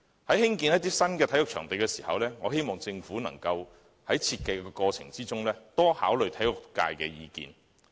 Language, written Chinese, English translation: Cantonese, 在興建新的體育場地時，我希望政府能在設計過程中多考慮體育界的意見。, During the construction of new sports venues I hope the Government can give more consideration to the views expressed by the sports community in the design process